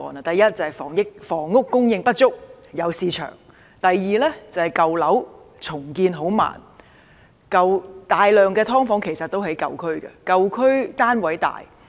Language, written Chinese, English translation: Cantonese, 第一，就是房屋供應不足，有市場；第二，舊樓重建緩慢；大量"劏房"其實也位於舊區，因為舊區的單位較大。, Firstly because there is a shortage in the supply of housing so there is a market for them; secondly the redevelopment of old buildings is slow and in fact a large number of subdivided units are located in old areas because the units in old areas are larger